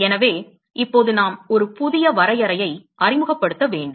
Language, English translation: Tamil, So, now we need a introduce a new definition